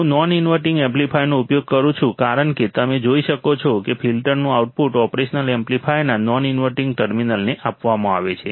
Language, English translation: Gujarati, I am using a non inverting amplifier as you can see the output of the filter is fed to the non inverting terminal of the operational amplifier